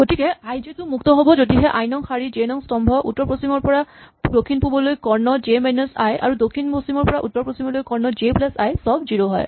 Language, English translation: Assamese, So, i j is free provided row i column j the north west to south east diagonal j minus i and the south west to north east diagonal j plus i are all equal to 0